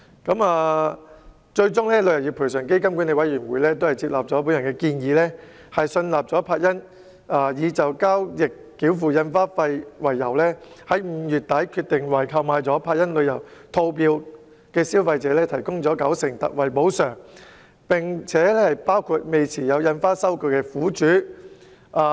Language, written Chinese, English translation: Cantonese, 旅遊業賠償基金管理委員會最終接納了我的建議，信納柏茵已就交易繳付印花費，並在5月底決定，為購買了柏茵旅遊套票的消費者提供九成特惠補償，包括未持有印花收據的苦主。, TICF Management Board finally accepted my proposal and satisfied that Action Travel had paid stamp fees for the transactions . At the end of May it was decided to provide 90 % ex gratia compensation for consumers who bought Action Travel packages including those who did not have stamped receipts